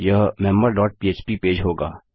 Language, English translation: Hindi, Itll be the member dot php page